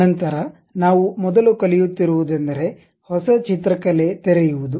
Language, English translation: Kannada, Then the first one what we are learning is opening a New drawing